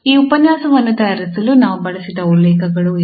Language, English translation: Kannada, These are the references we have used for preparing this lecture